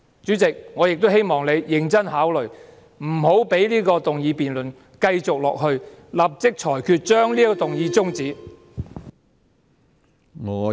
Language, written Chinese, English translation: Cantonese, 主席，我亦希望你認真考慮不要讓這項議案辯論繼續下去，立即裁決終止這項議案。, The tradition of this Council is lost in their hands . President I hope that you will seriously consider discontinuing this motion debate and immediately rule that this motion be terminated